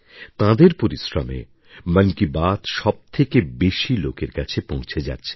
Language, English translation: Bengali, It is due to their hard work that Mann Ki Baat reaches maximum number of people